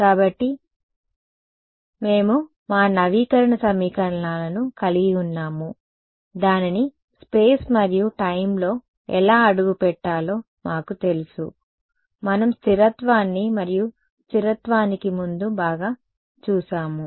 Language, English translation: Telugu, So, we had our update equations we knew how to step it in space and time, we looked at stability and before stability well yeah